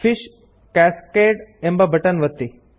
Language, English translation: Kannada, Click the Fish Cascade button